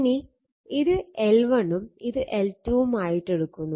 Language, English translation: Malayalam, And it is L 1 plus L 2 minus 2 m